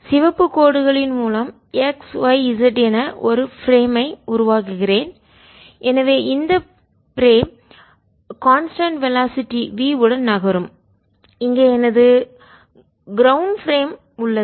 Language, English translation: Tamil, let me make a frame by, as red line, x, y, z, and this frame, therefore, is also moving with constant velocity v, and here is my ground frame